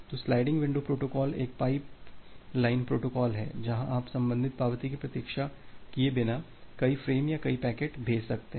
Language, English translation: Hindi, So, sliding window protocols are a pipe line protocol where you can send multiple frames or multiple packets altogether without waiting for the corresponding acknowledgement